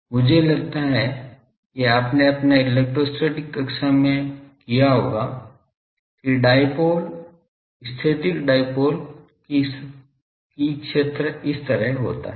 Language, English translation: Hindi, This I think you have done in your electrostatic classes that the dipole static dipole, that the field is like this